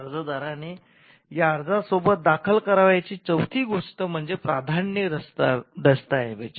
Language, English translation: Marathi, The fourth thing the applicant has to file along with this application is the priority document